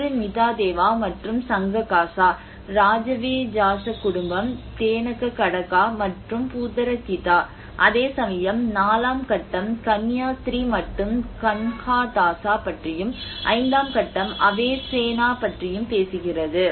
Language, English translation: Tamil, One is the Mitadeva and Sanghakasa, Rajavejasa family, Dhenukakataka and Bhutarakhita and whereas phase IV it talks about Nun and Kanhadasa and phase V Avesena